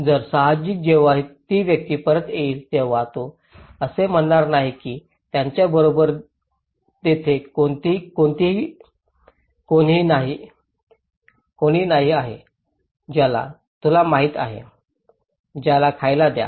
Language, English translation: Marathi, So obviously, when the person comes back he will not say that no one is there with him you know, to give him food